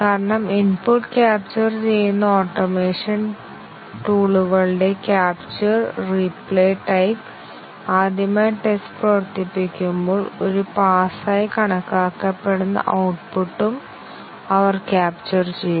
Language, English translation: Malayalam, Because, the capture and replay type of automation tools that capture the input, when first time the test is run and they have also captured the output that was considered to be a pass